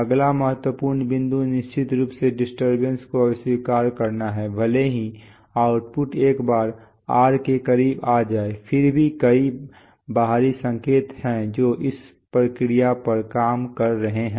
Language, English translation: Hindi, The next important point is, of course, to reject disturbances that is, even if the output once comes close to ‘r’ there are several external signals which are working on this process